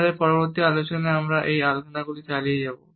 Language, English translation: Bengali, In our further discussions we would continue with these discussions